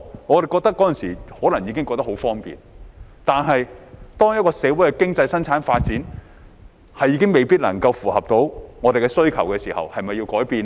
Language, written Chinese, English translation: Cantonese, 我們那時可能已覺得很方便，但當一個社會的經濟生產發展未必能夠符合到我們的需求時，是否要改變呢？, We might already find it very convenient at that time but when the development of economy and production in society may not meet our needs should there be a change?